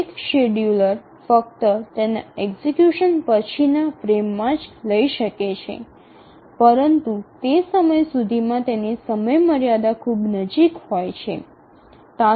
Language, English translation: Gujarati, The scheduler can only take up its execution in the next frame but then by that time its deadline is very near